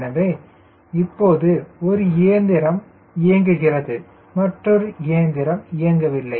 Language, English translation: Tamil, so now one engine is operative, one engine is not operative